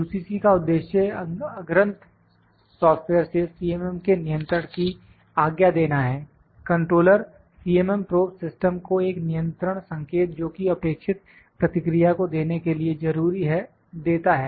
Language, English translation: Hindi, The purpose of UCC is to permit the control of CMM from the front end software, the controller provides a control signals to CMM probe system necessary to give the required response